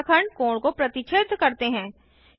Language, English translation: Hindi, The line segments bisects the angle